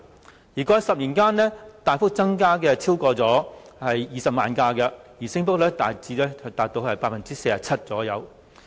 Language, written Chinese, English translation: Cantonese, 私家車過去10年間大幅增加超過20萬輛，升幅達 47% 左右。, PCs had the biggest share and also the largest percentage growth recording a 47 % growth or an increase of 200 000 over the past 10 years